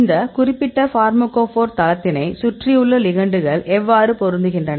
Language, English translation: Tamil, So, how we fit the ligands around the pharmacophore of this particular site